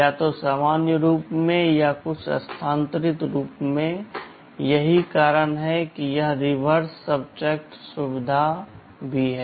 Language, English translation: Hindi, Either in the normal form or in some shifted form that is why this reverse subtract facility is also there